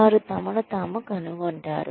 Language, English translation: Telugu, You find yourself in